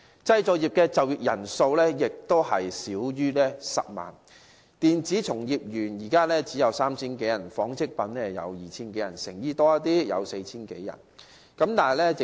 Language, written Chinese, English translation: Cantonese, 製造業就業人數亦少於10萬人。電子從業員現時只有 3,000 多人，紡織業只有 2,000 多人，成衣方面稍為多一點，有 4,000 多人。, Our manufacturing industry is employing fewer than 100 000 people with only 3 000 - odd electronics workers 2 000 - odd textile workers and a slightly higher number of 4 000 - odd garment workers